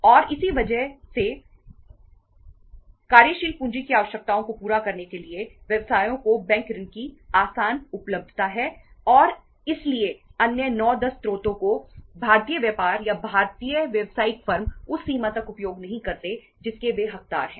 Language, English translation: Hindi, And it is because of the easy availability of the bank loan to the businesses for fulfilling their working capital requirements that the other 9, 10 sources have not been say utilized by the Indian business or the Indian business firms to that extent to which it deserves